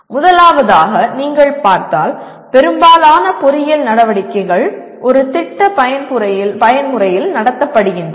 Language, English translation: Tamil, First of all, most of the engineering activities if you look at, they are conducted in a project mode